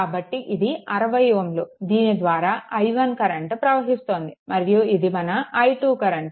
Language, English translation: Telugu, So, it will be your 6 this i 1 is current flowing there and this is your i2